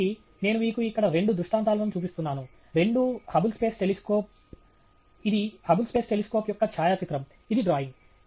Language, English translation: Telugu, So, I am showing you two illustrations here; both are the Hubble space telescope; this is a photograph of the Hubble space telescope; this is a drawing